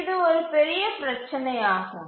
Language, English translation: Tamil, So, that is one major problem with this